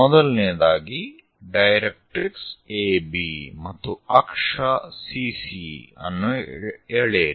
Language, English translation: Kannada, The first thing, draw a directrix AB and axis CC prime